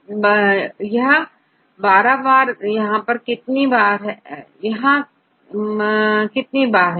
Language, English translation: Hindi, 1 2 that is it two times how many P’s and how many E’s